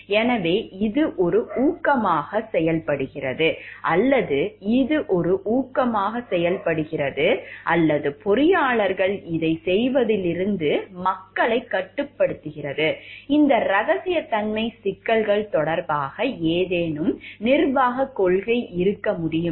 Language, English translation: Tamil, So, that it, it acts as an incentive you know it acts as an incentive or it restricts people from restricts engineers from doing this, can there be any management policy regarding these confidentiality issues